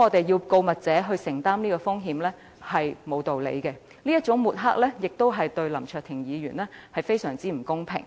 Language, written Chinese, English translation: Cantonese, 要告密者承擔這種風險，實在毫無道理，這種抹黑亦對林卓廷議員非常不公平。, It would be totally unreasonable for informants to take this risk and it is grossly unfair to smear the reputation of Mr LAM Cheuk - ting in this way